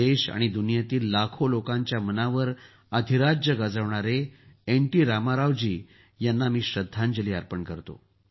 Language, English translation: Marathi, T Rama Rao ji, who ruled the hearts of millions of people in the country and the world